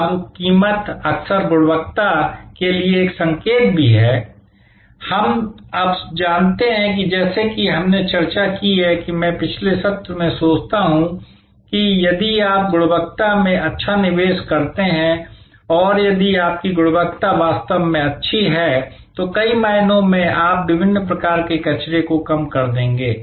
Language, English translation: Hindi, Now, price is often also a signal for quality, we know now as we discussed I think in the previous session that if you invest well in quality and if your quality is really good, then in many ways you will be reducing waste of different kinds, which means you will reduce costs of different kind